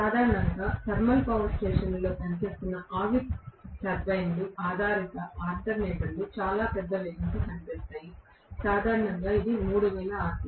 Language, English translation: Telugu, Normally the steam turbine based alternators, which are working in thermal power stations work at extremely large speed, normally which is 3000 rpm